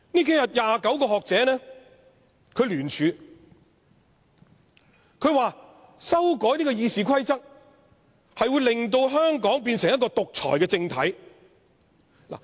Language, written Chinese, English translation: Cantonese, 近日有29名學者聯署，指出修改《議事規則》將令香港變成獨裁政體。, In a joint statement issued recently 29 scholars have warned that the amendments to the Rules of Procedure RoP would turn Hong Kong into a totalitarian regime